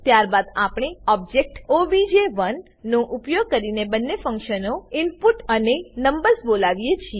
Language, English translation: Gujarati, Then we call both the functions input and numbers using the object obj1